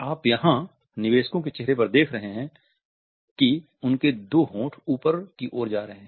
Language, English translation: Hindi, What you see here on the investors face is just the two lips going upwards